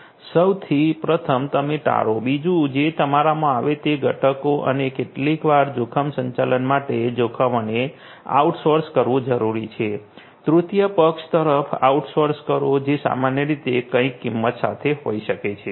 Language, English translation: Gujarati, First of all you avoid; second is whatever comes in you will have to mitigate and sometimes for risk management it is if you know sometimes required to outsource the risks; outsourced to a third party and may be typically with at some cost right